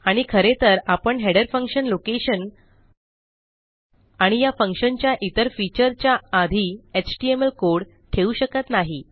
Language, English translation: Marathi, And you cant actually put html before a header function, going to location and other features of this function